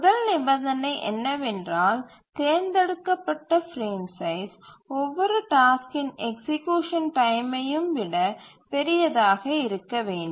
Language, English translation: Tamil, The first consideration is that each frame size must be larger than the execution time of every task